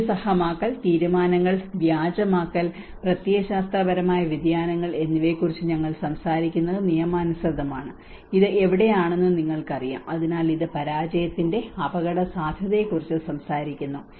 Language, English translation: Malayalam, And legitimation that is where we talk about rationalisation, decision faking, and ideological shifts you know this is where, so that is how it talks about the risk of failure as well